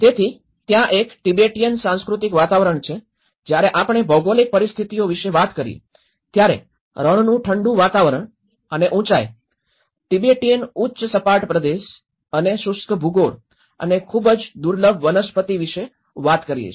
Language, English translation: Gujarati, So, there is a Tibetan cultural environment, when we talk about the geographic conditions, it talks about the cold desert climate and high altitude, Tibetan plateau and the arid topography and a very scarce vegetation